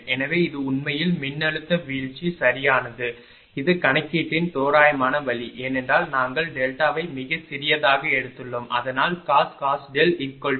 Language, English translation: Tamil, So, this is actually voltage drop right this is the approximate approximate way of calculation right because we have taken delta is very small so cos delta is 1